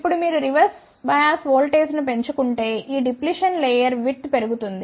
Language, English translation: Telugu, Now, if you increase the reverse bias voltage this depletion layer width will increase